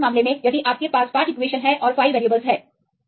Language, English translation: Hindi, So, in this case right if you have 5 equations and 5 variables